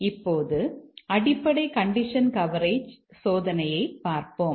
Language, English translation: Tamil, Let's look at the basic condition coverage testing